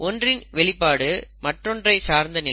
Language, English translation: Tamil, Expression of one is dependent on the other